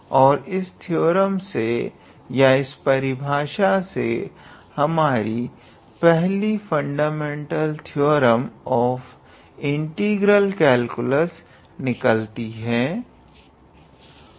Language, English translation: Hindi, And from this theorem in a way or from this definition in a way, the first the fundamental theorem of integral calculus is motivated